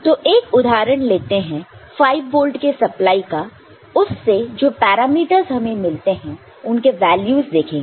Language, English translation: Hindi, So, one particular example for a 5 volt supply case is the different kind of parameters that you get